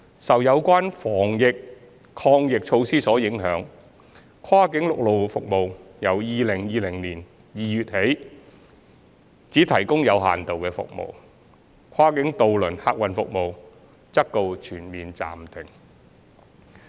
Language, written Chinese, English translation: Cantonese, 受有關防疫抗疫措施所影響，跨境陸路服務由2020年2月起只提供有限度服務，跨境渡輪客運服務則告全面暫停。, Impacted by the anti - epidemic measures only limited cross - boundary land - based services have been provided since February 2020 while cross - boundary ferry services have been completely halted